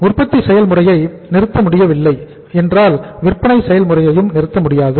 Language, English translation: Tamil, When the production process cannot be stopped you cannot stop the selling process